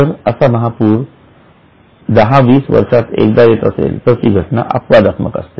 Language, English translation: Marathi, If there is a major flood which might occur somewhere in 10, 20 years once, then it is exceptional